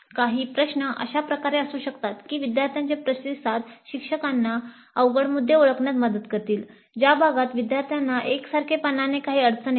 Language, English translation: Marathi, So some of the questions can be in such a way that the responses of students would help the instructor in identifying the sticky points, the areas where the students uniformly have some difficulty